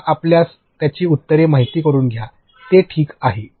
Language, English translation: Marathi, Give them your you know answers for it, it is ok